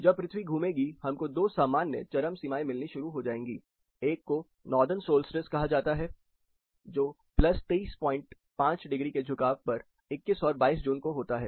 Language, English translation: Hindi, As the earth moves around, you will start getting two typical extremes; one is called Northern solstice that is when 23 and half degrees plus that are on June 21st and 22nd